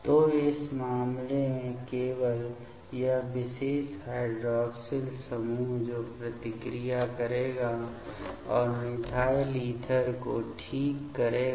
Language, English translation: Hindi, So, in this case only this particular hydroxyl group that will react and give the methyl ether ok